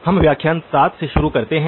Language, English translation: Hindi, We begin lecture 7